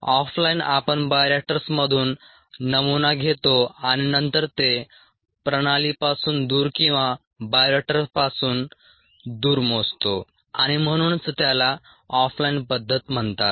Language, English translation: Marathi, off line, we take a sample from bioreactors and then measure it away from the line or the away from the bioreactor, and that is why it is called off line method